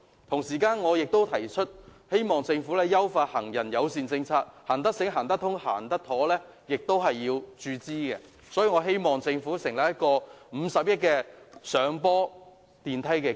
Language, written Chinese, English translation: Cantonese, 同時，我亦希望政府優化行人友善政策，至於能否讓行人"行得醒、行得通、行得妥"，亦須注資，希望政府能成立一個50億元的"上坡電梯基金"。, At the same time I also hope that the Government will improve the pedestrian - friendly policy . Whether the facilities can make it smart make it connected and make it safe investment is needed . I hope the Government will provide funding to set up a 5 billion Uphill elevator and escalator fund